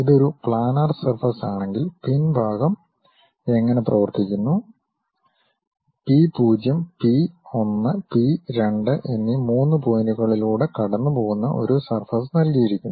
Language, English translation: Malayalam, If it is a planar surface, the back end how it works is; a plane surface that passes through three points P 0, P 1, P 2 is given